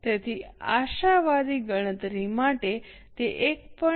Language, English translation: Gujarati, So, for optimist calculation it is into 1